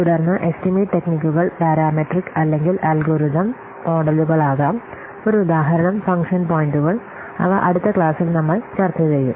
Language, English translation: Malayalam, And then the estimation techniques can be parametric or algorithm models for example, function points that will see in the next class